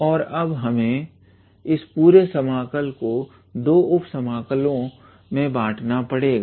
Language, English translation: Hindi, And then we have to split the whole interval integral into 2 sub integrals